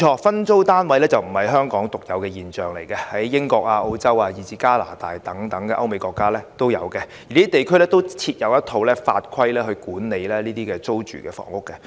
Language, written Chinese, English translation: Cantonese, 分租單位確實並非香港獨有的現象，亦見於英國、澳洲以至加拿大等歐美國家，而這些地區均設有一套法規管理這類租住房屋。, Tenement flats are actually a phenomenon not unique to Hong Kong . They are also found in such countries in Europe and America as the United Kingdom Australia and Canada where a set of laws and regulations are in place to regulate such rental housing